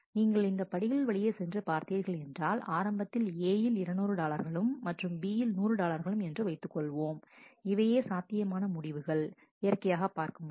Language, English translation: Tamil, And if you go through the steps, assuming that A initially is 200 dollar and B is 100 dollar, these are the possible results that you see naturally